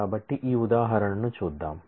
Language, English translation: Telugu, So, let us look at this example